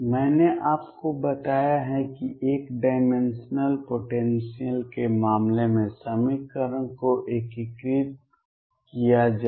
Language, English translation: Hindi, I have told you how to integrate the equation in the case of one dimensional potential